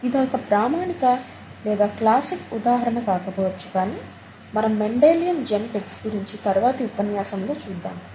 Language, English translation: Telugu, It's not a very standard or classic example of this kind, but Mendelian genetics is something that we would look at in a later lecture